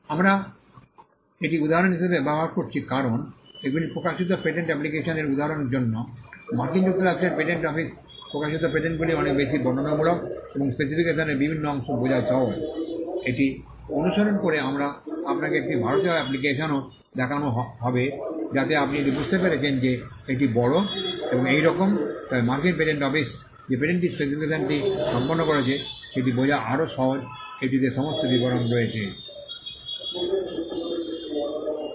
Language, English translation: Bengali, We are using this as an example because these are the published patent applications and for the sake of illustration, the patents published by the United States patent office are much more descriptive and it is easier to understand the various parts of the specification, following this we will also be showing you an Indian application so that you can understand it is by and large the same, but the formatting in which the patent specification is done by the US patent office is much more easier to understand and it has all the details in one place